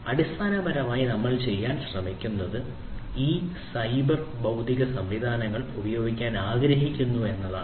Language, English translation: Malayalam, So, essentially what we are trying to do is we want to use these cyber physical systems